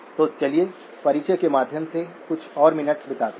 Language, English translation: Hindi, So let us spend a few more minutes on by way of introduction